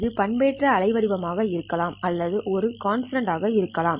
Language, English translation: Tamil, This could be modulated waveform or it could be just a constant